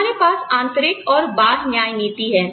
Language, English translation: Hindi, We have internal and external equity